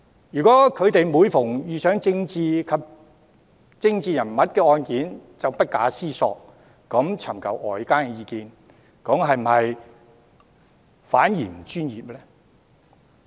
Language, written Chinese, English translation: Cantonese, 如果他們每次遇上涉及政治人物的案件，便不加思索尋求外間意見，會否反而不專業呢？, If they routinely sought outside advice whenever they meet cases involving political figures would it be unprofessional?